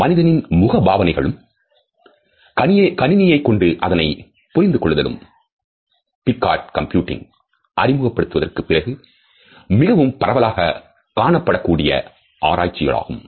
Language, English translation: Tamil, Human facial expressions as well as their recognition by computers has become a widely studied topic since the concept of effective computing was first introduced by Picard